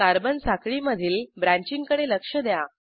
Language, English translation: Marathi, Observe the branching in the Carbon chain